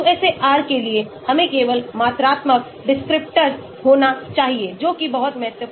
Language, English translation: Hindi, For QSAR, we need to have only quantifiable descriptor that is very, very important